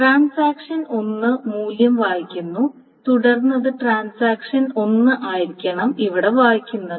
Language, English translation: Malayalam, So the same transaction, if the transaction 1 reads the value, then it must be the transaction 1 reads it here